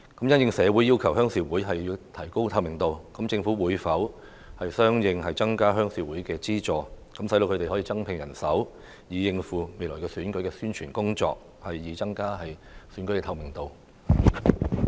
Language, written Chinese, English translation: Cantonese, 因應社會要求鄉事會提高透明度，政府會否相應增加鄉事會的資助，讓他們可以增聘人手應付未來選舉的宣傳工作，以增加選舉的透明度？, In response to the public call for greater transparency of RCs will the Government increase the funding for RCs accordingly so that they can recruit additional staff to take up future election campaign thereby enhancing the transparency of the elections?